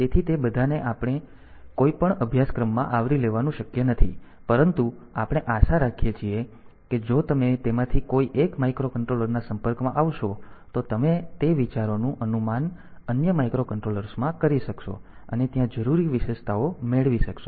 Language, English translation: Gujarati, So, it is not possible to cover all of them in any course, but anyway so hope that if you get exposed to 1 of those microcontrollers then you can extrapolate those ideas to other microcontrollers and get the essential features there